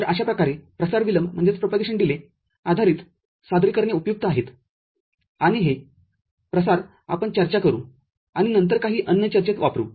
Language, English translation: Marathi, So, that way the propagation delay based representations are useful, and this propagation we shall discuss and use later in some other discussion